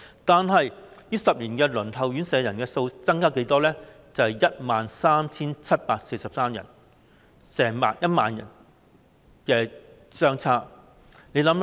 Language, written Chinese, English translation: Cantonese, 但是，這10年間，輪候院舍的人數卻增加了 13,743 人，跟之前相差了 10,000 人。, However during the decade the number of people waiting for their homes has increased by 13 743 a difference of 10 000 from the previous figure